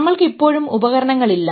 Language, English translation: Malayalam, We still don't have tools to